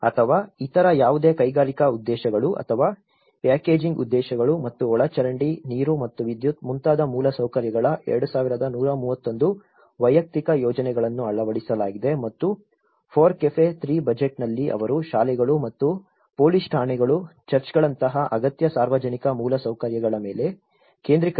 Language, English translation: Kannada, Or any other industrial purposes or packaging purposes and 2,131 individual projects of infrastructures for like sewage, water and electricity so all these have been incorporated and in the FORECAFE 3 budget they talked they focused on the schools and the essential public infrastructure like police stations, churches and using the prefab and modular components